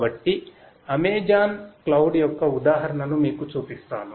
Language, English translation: Telugu, So, let me show you an example of the Amazon cloud